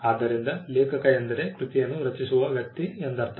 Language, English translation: Kannada, So, author by author we mean the person who creates the work